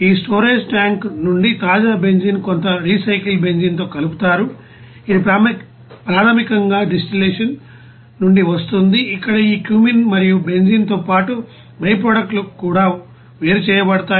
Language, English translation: Telugu, The fresh benzene from this storage tank it will be mixed with some recycled benzene which is basically coming from distillation where this cumene and also it is byproducts along with the benzene is separated